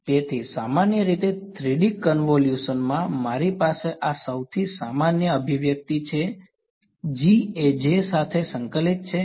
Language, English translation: Gujarati, So, in general 3D convolution right, I have this is the most general expression right G convolved with J ok